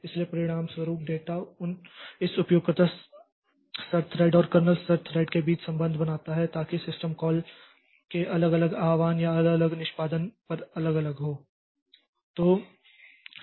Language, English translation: Hindi, So, as a result, the data, the association between this user level thread and kernel level thread so that will vary over different invocate or different execution of this system calls